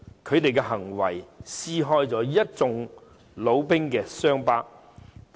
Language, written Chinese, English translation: Cantonese, 他們的行為撕開了一眾老兵的傷疤。, Their behaviour reopened the old wounds of the veterans